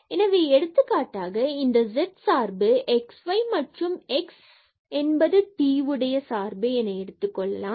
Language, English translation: Tamil, So, for example, we have this function z is equal to xy x is a function of t